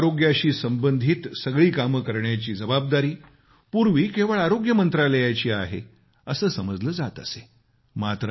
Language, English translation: Marathi, Earlier, every aspect regarding health used to be a responsibility of the Health Ministry alone